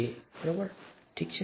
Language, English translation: Gujarati, It is this, okay